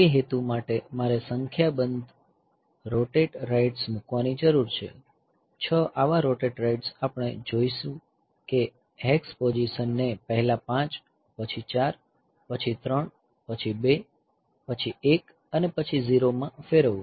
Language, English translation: Gujarati, So, for that purpose I need to do, put a number of rotate rights 6 such rotate rights we will be require rotate right a hex into position 5 4 then 3, then 2, then 1 and then 0